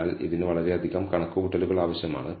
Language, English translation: Malayalam, So, it is quite a lot of computation that it takes